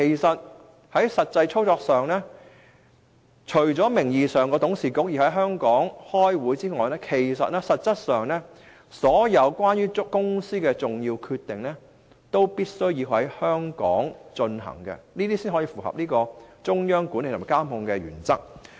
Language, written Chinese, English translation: Cantonese, 在實際操作上，除了名義上董事會要在香港舉行會議外，所有公司的重要決定都必須在香港進行，才可以符合中央管理及控制的原則。, In actual operation the company not only has to hold its nominal board meetings in Hong Kong but must also make all its important decisions in Hong Kong . Only then can it meet the principle of exercising the central management and control in Hong Kong